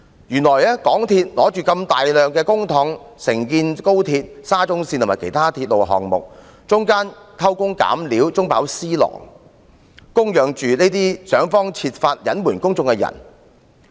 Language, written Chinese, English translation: Cantonese, 原來港鐵公司手握大量公帑承建高鐵、沙中線及其他鐵路項目，但卻偷工減料、中飽私囊，供養着這些設法隱瞞公眾的人。, MTRCL has been entrusted to undertake XRL SCL and other railway projects with a huge sum of public money . Yet they resorted to jerry - building practices for feathering their own nest and public monies are used to feed those who tried hard to hide the truth from the public